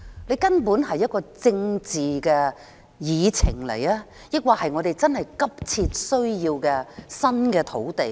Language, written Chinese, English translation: Cantonese, 這究竟是一項政治議程，還是我們確實急切需要新的土地呢？, Is it because of a political agenda or that we really have imminent demand for new sites?